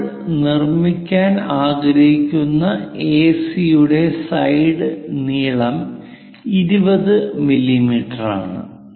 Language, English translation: Malayalam, So, it is supposed to have 8 sides AC side length is a 20 mm side we would like to construct